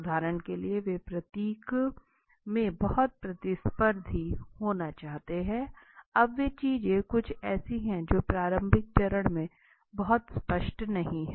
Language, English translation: Hindi, For example, they want they to be very competitive in nature, now these things are something which do not come in where is abruptly is which is very not very clear at the initial stage